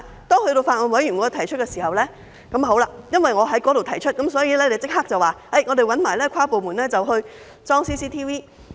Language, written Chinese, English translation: Cantonese, 當我在法案委員會提出時，因為我在那裏提出，所以局方立即回應，會一併找跨部門安裝 CCTV。, When I brought the case up at the Bills Committee and because I brought it up at the meeting the Bureau responded immediately by making inter - departmental arrangement for the installation of CCTV